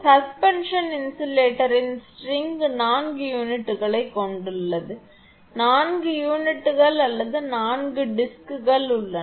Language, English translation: Tamil, A string of suspension insulator consists of four units there are four units or four disks